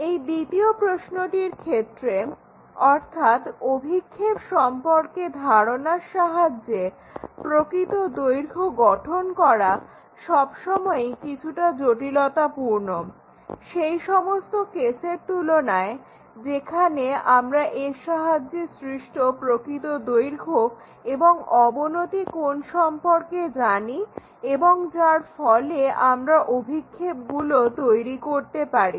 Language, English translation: Bengali, So, the second question by knowing projections and constructing the true length is always be slight complication involved, compared to the case where we know the true length and inclination angles made by that so, that we can construct projections